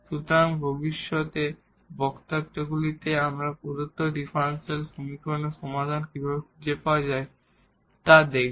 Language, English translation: Bengali, So, what will be actually coming now in the future lectures that how to find the solution of given differential equation